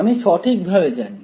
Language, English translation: Bengali, I do know it right